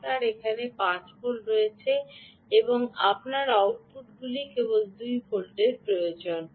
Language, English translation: Bengali, ah, you have five volts here and you need only two volts at the outputs